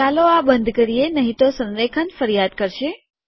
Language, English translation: Gujarati, Let me close this otherwise alignment will complain